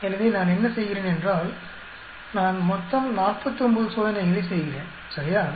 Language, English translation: Tamil, So, what I am doing is, I am doing totally 49 experiments right